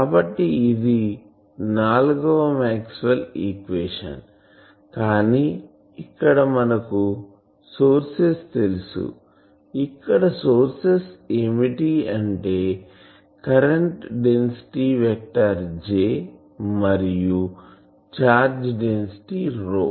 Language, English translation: Telugu, So, these are the four Maxwell’s equation, but you know that this here we assume that we know the sources, sources here is the current density vector J and the charge density rho